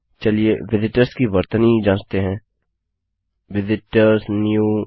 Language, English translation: Hindi, Lets check the spelling of visitors Visit ors new